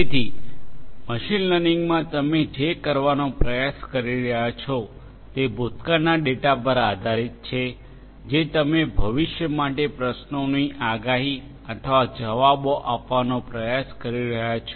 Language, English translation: Gujarati, So, we have, so, in machine learning basically what you are trying to do is based on the past data you are trying to predict or answer questions for the future, right